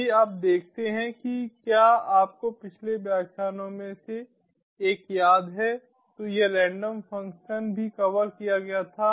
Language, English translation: Hindi, if you see, if you remember, in one of the previous lectures this random function was also covered